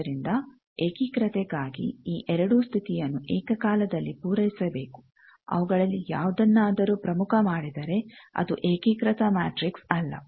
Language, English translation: Kannada, So, for unitary both these condition should be simultaneously satisfied, if any of them is highlighted it is not an unitary matrix